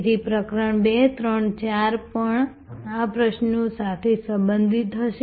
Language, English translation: Gujarati, So, chapter 2, 3 and 4 will be also then related to these questions